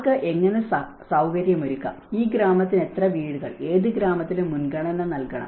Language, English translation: Malayalam, How to facilitate whom, how many houses for this village and which village we have to give priority